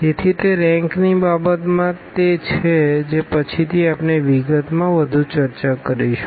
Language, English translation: Gujarati, So, that is the case of in terms of the rank which we will later on discuss more in details